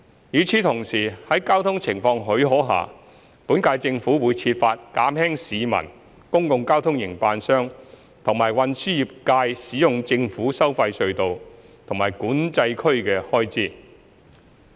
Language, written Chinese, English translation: Cantonese, 與此同時，在交通情況許可下，本屆政府會設法減輕市民、公共交通營辦商及運輸業界使用政府收費隧道和管制區的開支。, At the same time where traffic conditions permit the Government of the current term will seek to reduce the cost of using government tolled tunnels and Control Areas incurred by the public public transport operators and transport trades